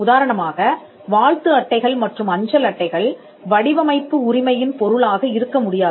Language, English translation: Tamil, For instance, greeting cards and postcards cannot be a subject matter of a design right